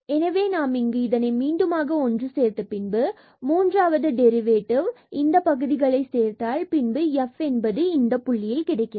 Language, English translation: Tamil, So, we have combined this again these third order derivatives terms as well in this cubed term and this f at this point